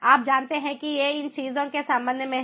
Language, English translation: Hindi, you know these are with respect to these things